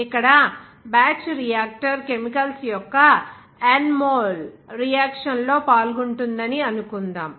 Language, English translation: Telugu, Here like batch reactor supposes there will be an N mole of the Chemicals are taking part in a reaction